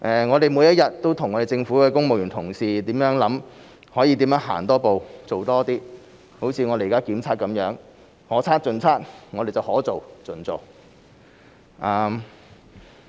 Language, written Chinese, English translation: Cantonese, 我們每天都和政府公務員同事構思可以如何多走一步、做多一些，像現在的檢測，我們是可測盡測，可做盡做。, Every day we and our colleagues in the civil service are contemplating how to go further and do more . As in the case of the testings being conducted we are doing this to the best of our ability